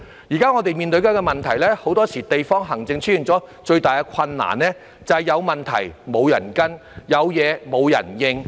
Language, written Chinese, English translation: Cantonese, 現時我們面對的問題，即很多時候地區行政出現的最大困難，便是有問題沒有人跟進，有事沒有人回應。, The problem we are facing now which is often the greatest difficulty in district administration is that there is no one to follow up on problems and no one to respond to incidents when they arise